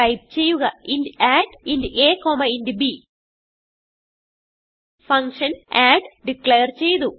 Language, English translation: Malayalam, Type int add(int a, int b) Here we have declared a function add